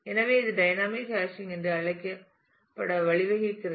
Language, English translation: Tamil, So, that gives rise to what is known as dynamic hashing